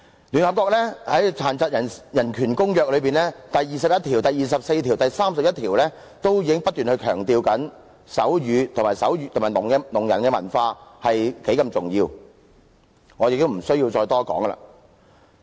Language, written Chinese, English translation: Cantonese, 聯合國在《殘疾人權利公約》第二十一條、第二十四條及第三十一條中不斷強調手語及聾人的文化有多重要，我亦不需要再多談。, Articles 21 24 and 31 of the United Nations Convention on the Rights of Persons with Disabilities repeatedly lay stress on the importance of sign language and a deaf culture . I need not make any repetition here